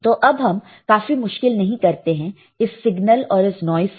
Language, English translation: Hindi, So, let us not make our life difficult with these signal this noise